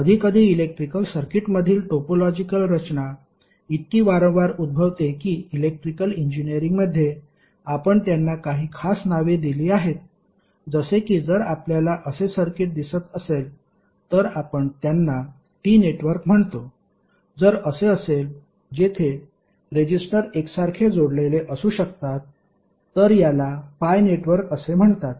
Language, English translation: Marathi, Sometimes the topological structure in the electrical circuit occur so frequently that in Electrical Engineering we have given them some special names, like if you see circuit like this we called them as T network, if it is like this were you may have resistor connected like this then it is called pi network